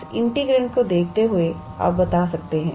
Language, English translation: Hindi, Just looking at this integrand, you can be able to tell